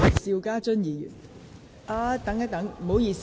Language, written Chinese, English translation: Cantonese, 邵家臻議員，請發言。, Mr SHIU Ka - chun please speak